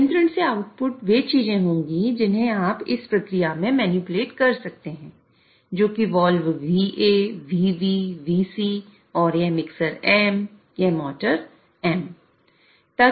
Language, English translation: Hindi, So, outputs from control will be the things which you can manipulate in this process so which is wall VA, VB, VC and this mixer M